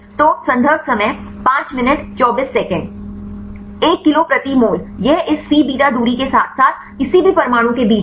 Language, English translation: Hindi, So, 1 kilocal per mole it is in between this C beta distance as well as with any atoms